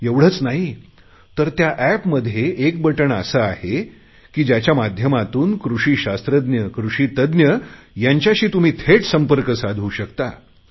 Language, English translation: Marathi, There is a button on the App which will connect you directly with agricultural scientists and link you with the experts